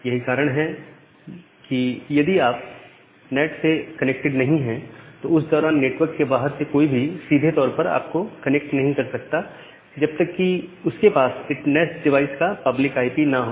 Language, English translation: Hindi, So, that is why if you are behind the NAT during that time, someone from outside will not be able to directly connect to you unless they have the information of the public IP of the NAT box